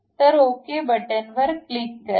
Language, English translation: Marathi, So, then click ok